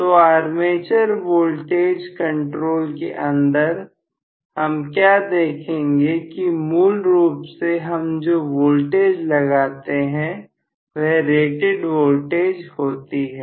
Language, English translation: Hindi, So, in armature voltage control, what I am looking at is actually, I am going to have basically the voltage is normally applied, which is the rated voltage